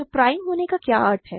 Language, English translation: Hindi, So, what is the meaning of being prime